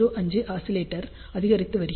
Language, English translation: Tamil, 05 G oscillator is increasing